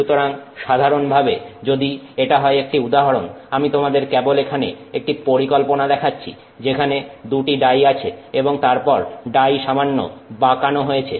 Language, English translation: Bengali, So, typically if this is just an example, I'm just showing you a schematic here where let's say there are two dyes and then there is some bend in the die